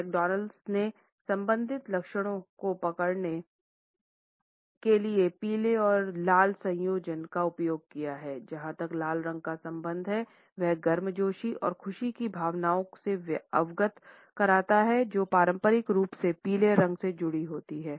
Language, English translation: Hindi, McDonald has used yellow and red combination to capture the associated traits of excitement as far as red is concerned, and they conveyed feelings of warmth and happiness which are conventionally associated with yellow